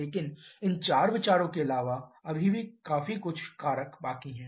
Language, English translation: Hindi, But apart from this 4 considerations there are still quite a few factors left out